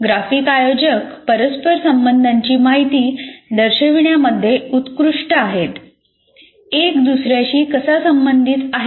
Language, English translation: Marathi, And graphic organizers are best at showing the relational information, how one is related to the other